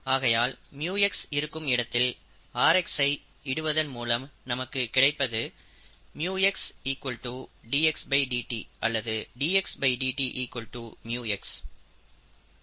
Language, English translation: Tamil, Therefore, if you substitute rx equals mu x, we get mu x equals dxdt